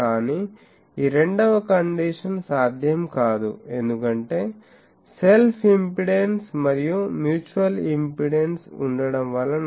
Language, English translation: Telugu, But this second condition is not possible, because the self impedance and the mutual impedance